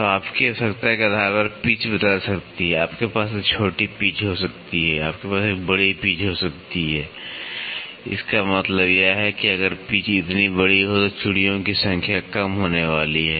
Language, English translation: Hindi, So, pitch can change depending upon your requirement you can have a smaller pitch, you can have a larger pitch; that means, to say if the pitch is large so, then that number of threads are going to be less